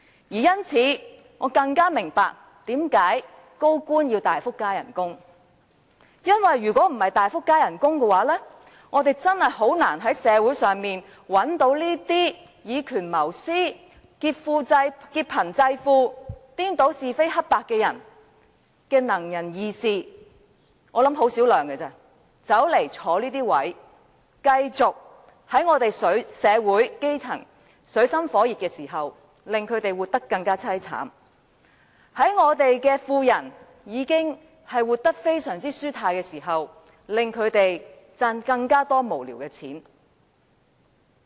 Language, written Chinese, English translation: Cantonese, 因此，我更加明白為何高官要大幅加薪，因為若非如此，確實難以在社會上找到以權謀私、劫貧濟富、顛倒是非黑白的"能人異士"——我相信他們只有為數很少——擔任這些職位，在社會的基層活得水深火熱之時，繼續令他們生活更淒慘；在富人已經活得非常舒泰之時，令他們賺取更多無聊的金錢。, As such I have a better understanding as to why senior officials ask for a significant pay rise for without a high salary it will be indeed difficult to find some able persons who―though I believe the number of them is small―abuse power for personal benefits exploit the poor to subsidize the rich and confound right and wrong are willing to take up such posts so as to continuously aggravate the extreme miseries of the grass roots in society and enable the wealthy to earn even more when they are already leading a very comfortable life